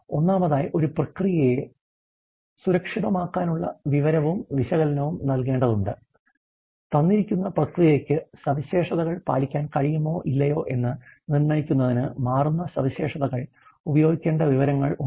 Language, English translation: Malayalam, First of all you have to analyze a process with a view to secure and information which is to be used a changing specifications in determining whether a given process can meet specifications or not